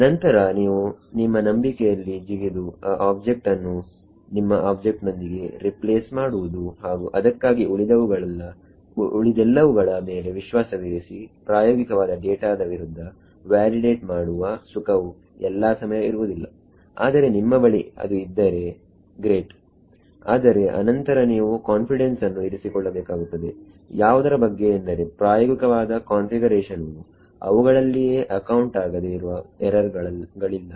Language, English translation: Kannada, Then you take a leap of faith replace that object by your object and hope everything else for that right having the luxury of validating against experimental data may not always be there if you have that is great, but then you have to have confidence that your experimental configuration does not have unaccounted errors themself